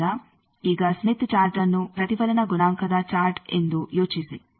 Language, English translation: Kannada, So, think now Smith Chart as a reflection coefficient chart